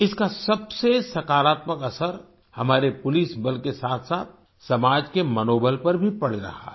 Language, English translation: Hindi, The most positive effect of this is on the morale of our police force as well as society